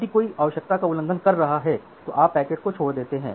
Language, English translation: Hindi, If it is violating the quality of service requirement then you simply drop those packets